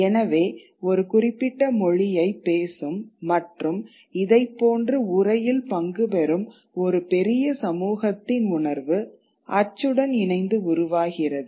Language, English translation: Tamil, So, that consciousness of a larger community which speaks a certain language and is partaking of a similar kind of text is something that develops with print